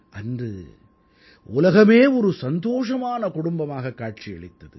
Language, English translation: Tamil, On that day, the world appeared to be like one big happy family